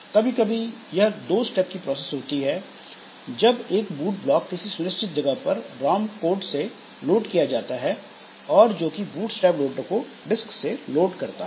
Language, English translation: Hindi, Sometimes two step process where a boot block at fixed location loaded by ROM code which loads the bootstrap loader from disk